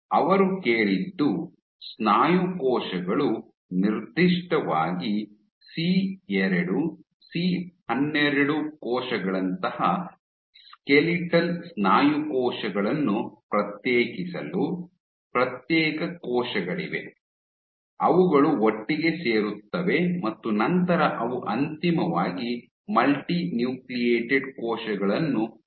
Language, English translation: Kannada, A subsequent study working on muscle cell differentiation, What they asked for muscle cells to differentiate particularly cell skeletal muscle cells like C2 C12 cells, you have individual cells which kind of come together and then they eventually these guys fuse to form a Multinucleated Cells